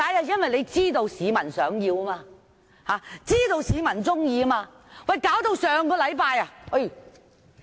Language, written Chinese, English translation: Cantonese, 因為他們知道市民想要，知道市民喜歡。, Because they are know this is what members of the public desire and like